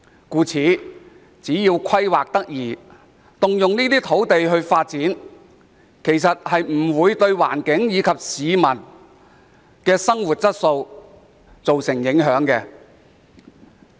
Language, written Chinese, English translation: Cantonese, 因此，政府只要規劃得宜，動用這些土地作發展不會對環境及市民生活質素造成影響。, Therefore with proper planning the Government should be able to use these land for development without causing an impact on the environment or peoples living quality